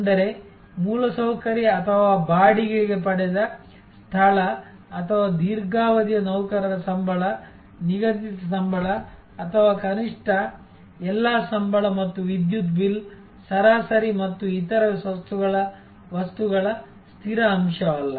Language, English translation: Kannada, That means, the infrastructure or the place that has been rented or the salaries of a long term employees, fixed salaries which are not or at least the fixed component of all salaries and electricity bill, average and other stuff